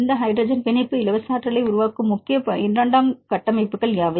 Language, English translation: Tamil, What are the major secondary structures form this hydrogen bonding free energy